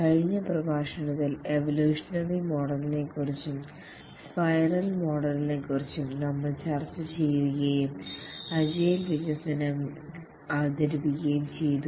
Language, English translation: Malayalam, In the last lecture, we had discussed about the evolutionary model, the spiral model, and we had just introduced the agile development